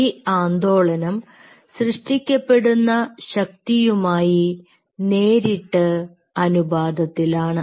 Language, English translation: Malayalam, so this oscillation is directly proportional to the force generated